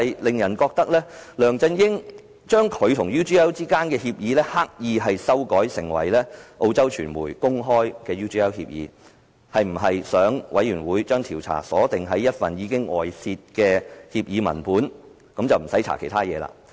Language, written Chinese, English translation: Cantonese, 梁振英將他與 UGL 之間的協議，刻意修改成為澳洲傳媒公開的 UGL 協議，是否想專責委員會將調查鎖定於一份已經外泄的協議文本，不用調查其他事情？, LEUNG Chun - ying has deliberately amended the Agreement between him and UGL to the UGL Agreement as disclosed by the Australian media; does he want the Select Committee to focus the inquiry on an agreement which had already been disclosed and no inquiry will be conducted on other matters?